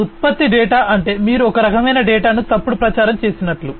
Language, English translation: Telugu, So, product data means like you know you falsify some kind of a data